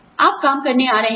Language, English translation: Hindi, You are coming to work